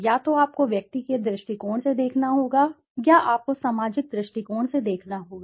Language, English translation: Hindi, Either you have to see from the individual s point of view or you have to see from the societal point of view